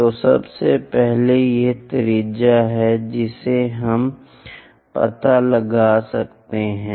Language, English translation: Hindi, So, first of all this is the radius what we can locate